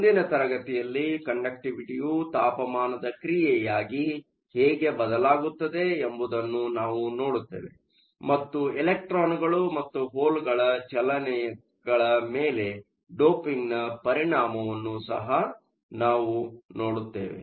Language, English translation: Kannada, In the next class, we will look at how the conductivity changes as the function of temperature, and we also look at the effect of doping on the mobilities of electrons and holes